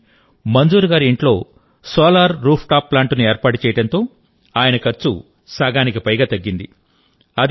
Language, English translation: Telugu, 4 thousand, but, since Manzoorji has got a Solar Rooftop Plant installed at his house, his expenditure has come down to less than half